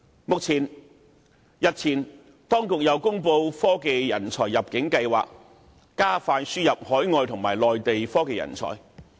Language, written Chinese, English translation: Cantonese, 當局日前亦公布"科技人才入境計劃"，加快輸入海外和內地的科研人才。, Also the authorities have recently announced the Technology Talent Admission Scheme to expedite the admission of RD talents from overseas and the Mainland